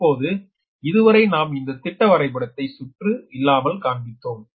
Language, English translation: Tamil, right now, so far we have shown that schematic diagram without the windings